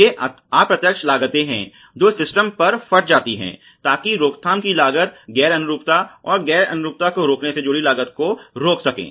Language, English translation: Hindi, So, these are indirect costs, which are burst on to the systems so that is what prevention costs prevent non conformance and the cost associated with preventing that non conformance